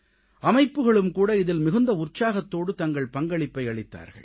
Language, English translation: Tamil, Institutions also extended their contribution enthusiastically